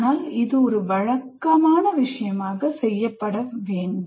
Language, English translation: Tamil, But it should be done as a matter of routine